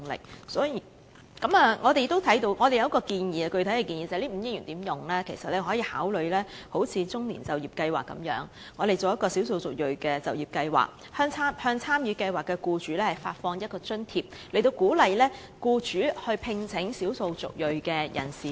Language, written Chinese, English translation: Cantonese, 我們對如何運用這筆5億元的撥款有一項具體建議，就是政府其實可以參考"中年就業計劃"，推行"少數族裔就業計劃"，向參與計劃的僱主發放一筆津貼，以鼓勵僱主聘請少數族裔人士。, On the question of how best to utilize the provision of 500 million we have a specific proposal the Government can in fact draw reference from the Employment Programme for the Middle - aged and launch an employment programme for the ethnic minorities to provide participating employers with an allowance as an incentive for hiring ethnic minority people